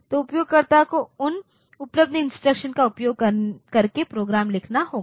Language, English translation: Hindi, So, user has to write the program using those instruction that are available